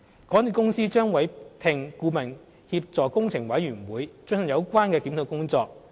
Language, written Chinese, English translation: Cantonese, 港鐵公司將委聘顧問協助工程委員會進行有關檢討工作。, MTRCL would engage a consultant to assist the Capital Works Committee to conduct the relevant review